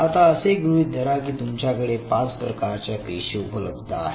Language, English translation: Marathi, Now, suppose you know these you have these 5 different kind of cells